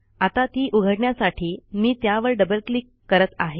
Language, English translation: Marathi, Let me open this file by double clicking on it